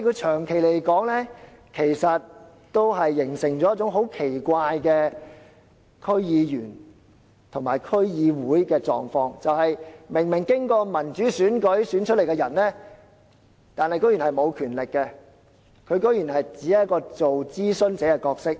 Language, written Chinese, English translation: Cantonese, 長遠而言，這做法形成了一種很奇怪的區議員和區議會的狀況，就是由民主選舉選出的人竟然是沒有權力的，竟然只是擔當一個諮詢角色。, In the long term such an arrangement created a weird status for District Board members and District Boards where members returned by democratic election were not given any power but only an advisory role